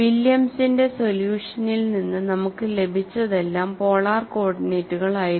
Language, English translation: Malayalam, And whatever we have got from Williams' solution was in polar co ordinates